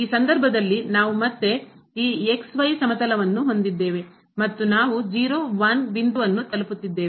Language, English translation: Kannada, So, in this case we have again this plane and we are approaching to the point